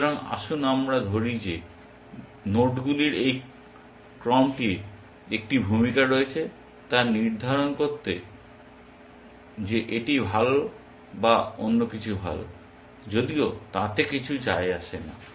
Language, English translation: Bengali, So, let us say this sequence of nodes has a role to play in determining that either this better or something else is better,